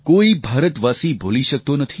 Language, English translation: Gujarati, No Indian can ever forget